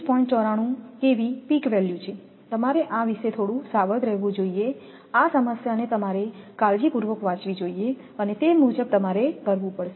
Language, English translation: Gujarati, 94 kV peak value you have to be little bit cautious about this read the problem carefully and accordingly you have to do